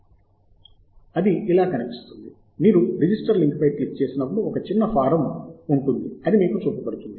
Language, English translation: Telugu, and this is how it looks like: when you click on the link register, there is a small form that will be shown to you